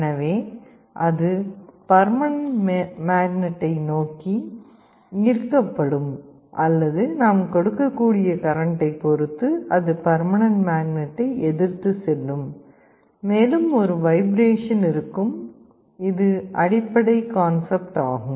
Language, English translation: Tamil, So, it will either be attracted towards the permanent magnet or it will be repelled from the permanent magnet depending on the kind of current we are passing, and there will be a vibration this is the basic idea